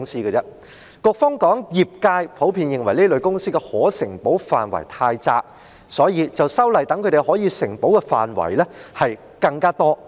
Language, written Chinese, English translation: Cantonese, 局方指業界普遍認為這類公司的可承保範圍太窄，所以，便修例擴闊他們可承保的範圍。, The Bureau claimed that the industry generally considered the scope of insurable risks covered by this type of companies too restrictive so legislative amendments were proposed to expand the scope of insurable risks covered by them